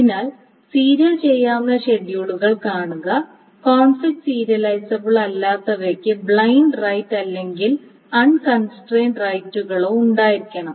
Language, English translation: Malayalam, So view serializable schedules which are not conflict serializable must have blind rights or this unconstraint rights